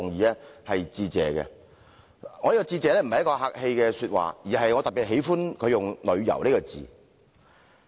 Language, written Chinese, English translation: Cantonese, 我向他致謝，並不是說客氣話，而是我特別喜歡他用"旅遊"這兩個字。, I thank him not out of courtesy for I especially like his use of the word tourism